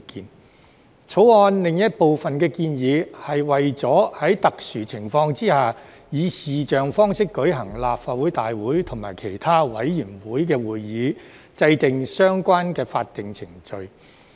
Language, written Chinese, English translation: Cantonese, 《條例草案》另一部分的建議，是為了在特殊情況下以視像方式舉行立法會大會及其他委員會會議，而制訂相關的法定程序。, Another group of the proposals in the Bill concerns the relevant statutory procedures formulated for the purpose of conducting meetings of the Council and other committees by video conference in exceptional circumstances